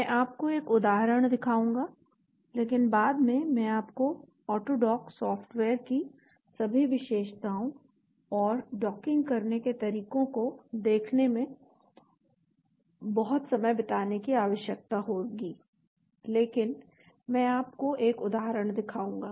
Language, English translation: Hindi, I will show you an example but you need to later on spend lot of time looking at all the features of the AutoDock software and how to do docking, but I will show you one example